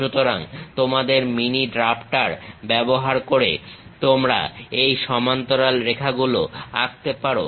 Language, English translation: Bengali, So, using your mini drafter you can really draw these parallel lines